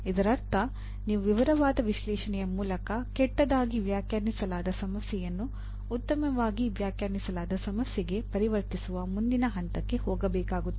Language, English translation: Kannada, That means you have to go to the next stage of further what do you call converting a ill defined problem to a well defined problem through a detailed analysis